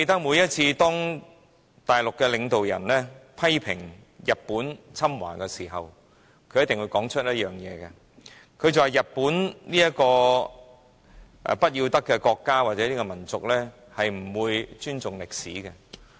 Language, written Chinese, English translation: Cantonese, 每當大陸領導人批評日本侵華時，一定會說日本這個不要得的國家或民族，是不會尊重歷史的。, Every time the Mainland leaders criticize Japan for invading China they are bound to say that Japan is a shameless country or nation that does not respect history